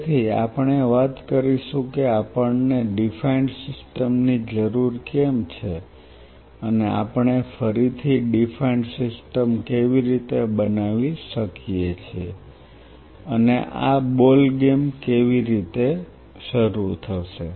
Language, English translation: Gujarati, So, we will talk about why we needed a defined system and how we can create a defined system again the why and the how of this ball game will start